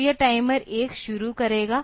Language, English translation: Hindi, So, this will be starting the timer 1